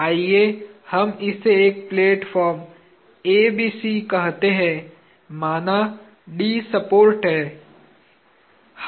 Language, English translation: Hindi, Let us just call this as A B C, is a platform; let us say this D is the support